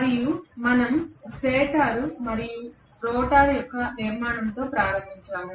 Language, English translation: Telugu, And we started off with the structure of stator and rotor